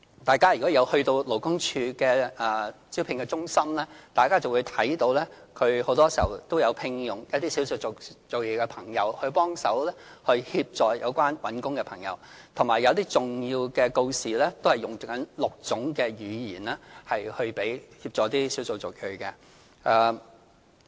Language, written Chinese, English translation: Cantonese, 大家如果曾到過勞工處的招聘中心，便會看到很多時候都有聘用少數族裔的朋友幫忙協助求職人士，以及有些重要的告示也使用6種語言，以協助少數族裔。, If Members have visited the recruitment centres operated by LD they will often see that people of ethnic minorities are recruited to help jobseekers there . Moreover some important notices are published in six languages to provide assistance for people of ethnic minorities